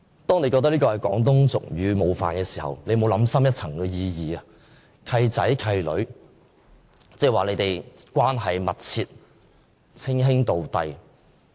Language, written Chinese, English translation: Cantonese, 當他覺得這廣東俗語冒犯時，他有否想深一層，"契仔契女"是說他們關係密切，稱兄道弟？, When he found this Cantonese proverb offensive did he really think thoroughly about the meaning? . Does the remark godsons and god - daughters refer to their close relationship and the brotherhood?